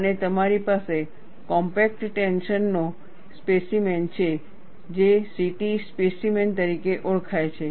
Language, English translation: Gujarati, And you have compact tension specimen, which is known as CT specimen